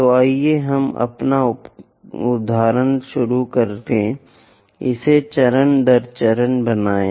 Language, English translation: Hindi, So, let us begin our example construct it step by step